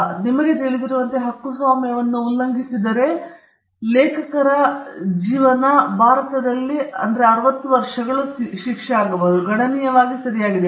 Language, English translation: Kannada, And that violates a copyright, and copyright, as you know, is it is life of the authors plus 60 years in India; so, it is quite a substantial right